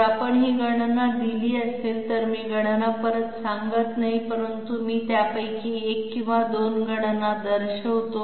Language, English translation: Marathi, If we have this calculation carried out, I am not going through the calculation but I will just point out one or two of them